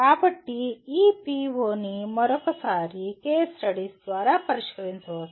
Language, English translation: Telugu, So this PO can be addressed through once again case studies